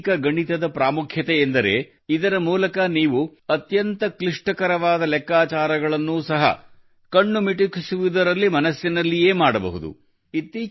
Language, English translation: Kannada, The most important thing about Vedic Mathematics was that through it you can do even the most difficult calculations in your mind in the blink of an eye